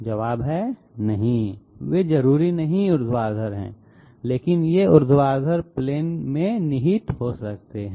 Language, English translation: Hindi, The answer is, no they are not necessarily vertical but they can be contained in vertical planes